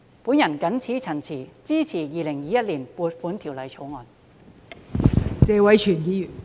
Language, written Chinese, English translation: Cantonese, 我謹此陳辭，支持《2021年撥款條例草案》。, With these remarks I support the Appropriation Bill 2021